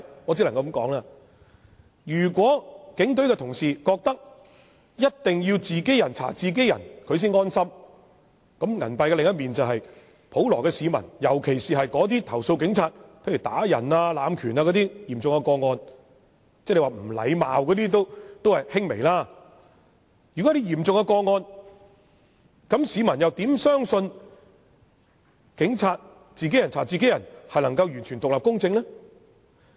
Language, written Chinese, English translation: Cantonese, 我只能說，如有警隊人員認為一定要"自己人查自己人"才能安心，銀幣的另一面就是普羅市民，對於那些重則投訴警務人員傷人、濫權，輕則指責警務人員無禮的市民，他們又如何能夠相信由警務人員"自己人查自己人"，能夠做到完全獨立和公正呢？, I can only say that if some police officers really think that only peer investigation can make them rest assured they should bear in mind that the general public are on the other side of the coin . For those members of the public who have complained against police officers for wounding and abusing powers in serious cases or for being bad mannered in minor cases how can they believe that totally independent and impartial peer investigation can be conducted by police officers?